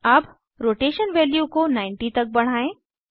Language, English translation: Hindi, Let us increase the Rotation value to 90